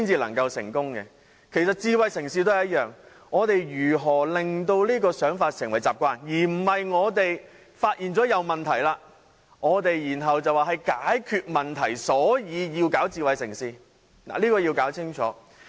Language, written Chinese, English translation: Cantonese, 其實智慧城市也一樣，我們如何令這種想法成為習慣，而不是我們發現有問題，然後便說要解決問題，所以才推動智慧城市的發展？, In fact the same is true of smart cities . How can we turn this kind of thinking into habit rather than finding that there are problems then say that we have to solve them and that is the reason why we want to promote the development of smart city?